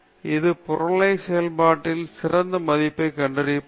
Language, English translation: Tamil, So, this can be used to find out the best value of objective function